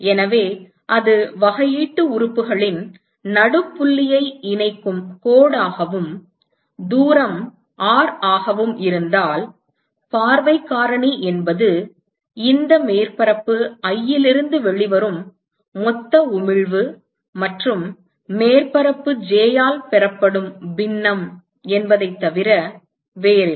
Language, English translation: Tamil, So, if that is the line that connects the midpoint of the differential elements, and if the distance is R, so the view factor is nothing but whatever is the total emission that comes out of this surface i and what fraction of that is received by surface j